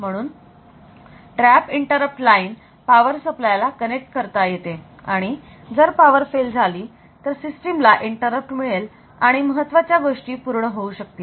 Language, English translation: Marathi, So, this trap interrupt line can be connected to the power supply from the power supply point and if there is a power failure then the system will get an interrupt and the essential activities can take place